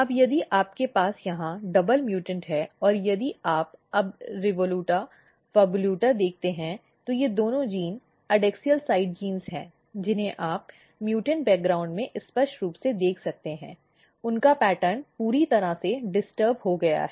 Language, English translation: Hindi, Now if you have double mutant here and if you look now REVOLUTA PHAVOLUTA these two of genes are adaxial side genes you can clearly see in mutants background their pattern is totally disturbed